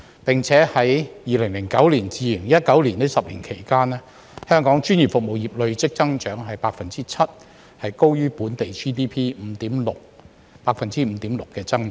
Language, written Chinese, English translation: Cantonese, 並且自2009年至2019年這10年期間，香港專業服務業累計增長 7%， 高於本地 GDP 5.6% 的增長。, Furthermore during the 10 years between 2009 and 2019 Hong Kongs professional services industry has recorded an accumulated growth rate of 7 % which is higher than the local GDP growth rate of 5.6 %